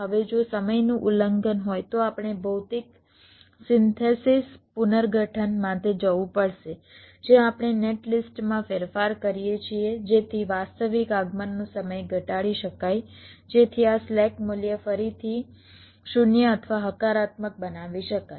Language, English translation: Gujarati, now, if there is a timing violation, then we have to go for physical synthesis, restructuring, where we modify the netlist so that the actual arrival time can be reduced, so that this slack value can be again made zero or positive